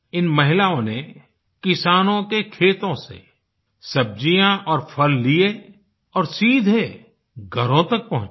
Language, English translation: Hindi, These women worked to deliver vegetables and fruits to households directly from the fields of the farmers